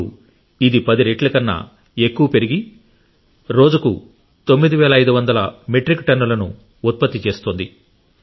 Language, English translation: Telugu, Now, it has expanded to generating more than 10 times the normal output and producing around 9500 Metric Tonnes per day